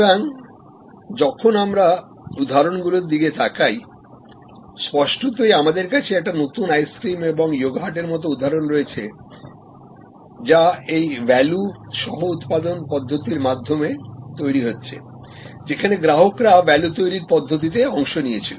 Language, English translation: Bengali, So, when we look at the examples; obviously, we have examples like new ice cream and yogurt flavors being created through this value co creation method, customers participated in value creation method